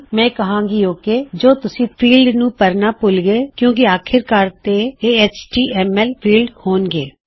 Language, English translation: Punjabi, Ill say ok or you forgot to fill out a field because there will eventually be HTML fields